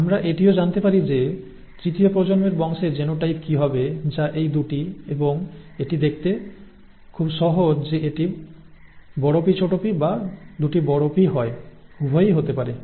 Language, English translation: Bengali, We could also ask what would be the genotype of the third generation offspring which is these 2 and quite easy to see it has to be either capital P small p or capital P capital P, both can arise